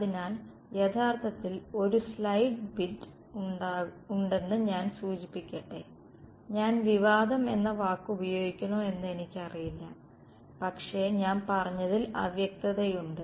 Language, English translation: Malayalam, So, actually let me mention there is a slide bit of I should say I do not know if I should use the word controversy, but ambiguity in what I said